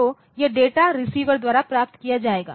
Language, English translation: Hindi, So, this data will be received by the receiver